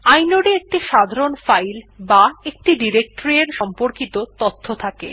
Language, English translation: Bengali, Inode stores basic information about a regular file or a directory